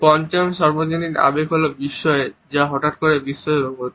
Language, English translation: Bengali, The fifth universal emotion is that of surprise, which is a sudden feeling of astonishment